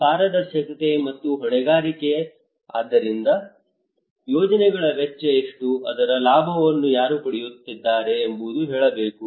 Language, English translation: Kannada, Transparency and accountability, like that what is the cost of the projects, who are benefiting out of it okay